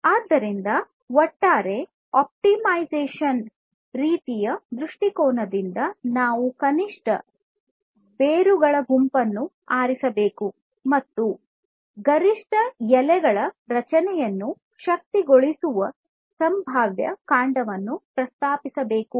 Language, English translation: Kannada, So, overall from a optimization kind of viewpoint; the goal can be stated like this that we need to select a minimum set of roots and propose a potential trunk that enables the creation of maximum set of leaves